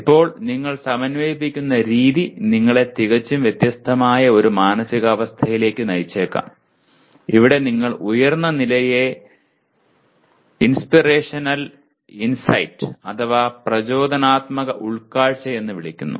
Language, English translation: Malayalam, Now the way you integrate may lead you to a completely different mindset, here what you are calling the highest level as inspirational insight